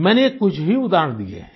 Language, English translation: Hindi, I have mentioned just a few examples